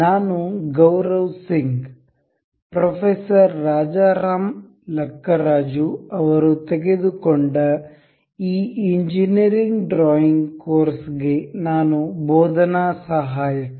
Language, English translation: Kannada, I am Gaurav Singh, I am a teaching assistant for this Engineering Drawing Course taken by Professor Rajaram Lakkaraju